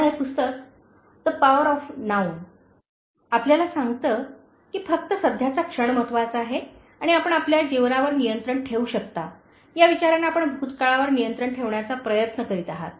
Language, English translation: Marathi, Now this book, The Power of Now, tells you that only the present moment is important, and you are desperate attempts to control past, thinking that you can control your life